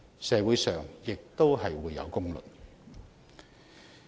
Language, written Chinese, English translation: Cantonese, 社會亦自有公論。, The community will also have a judgment